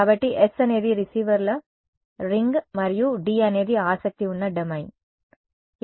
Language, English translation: Telugu, So, S is the ring of receivers and D is the domain of interest ok